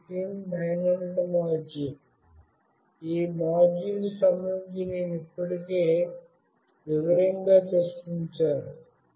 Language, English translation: Telugu, This is SIM900 module, I will have already discussed in detail regarding this module